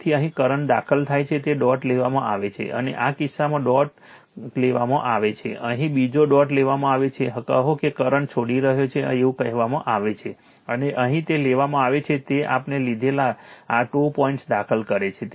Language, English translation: Gujarati, So, current is entering here is dot is taken right and in this case you are what you call another dot is taken here another dot is taken here right, say current is your what you call leaving and here it is taken that current is entering this 2 dots we have taken